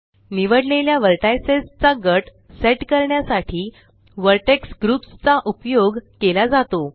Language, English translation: Marathi, Vertex groups are used to group a set of selected vertices